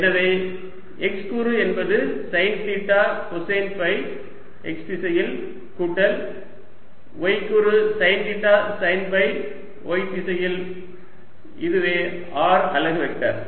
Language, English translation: Tamil, so x component is sine theta, cosine of phi in the x direction, plus y component is going to be sine theta, sine of phi in the y direction